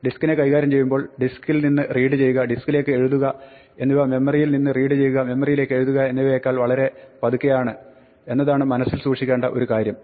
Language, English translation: Malayalam, Now, one thing to keep in mind when dealing with disks is that disk read and write is very much slower than memory read and write